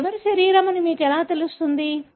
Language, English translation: Telugu, How will you know whose body it is